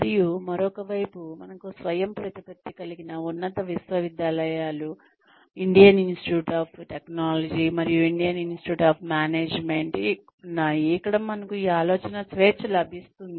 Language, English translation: Telugu, And, on the other side, we have autonomous institutes of higher education like, the Indian Institutes of Technology, and Indian Institutes of Management, where we are given this freedom of thought